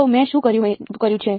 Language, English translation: Gujarati, So, what I have done